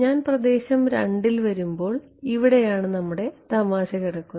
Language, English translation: Malayalam, Now, when I come to region 2 is where the fun lies right this is my